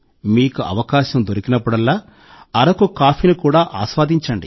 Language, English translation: Telugu, Whenever you get a chance, you must enjoy Araku coffee